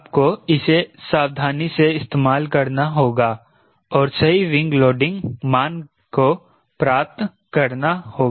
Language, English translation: Hindi, you have to carefully use it and get the right wing loading values